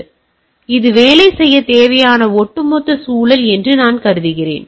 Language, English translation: Tamil, And also I assume that this is the overall environment where the things are need to work, right